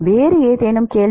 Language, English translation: Tamil, Any other question